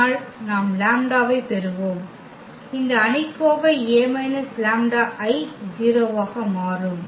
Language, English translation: Tamil, But, we have we will get our lambda such that this determinant A minus lambda I will become 0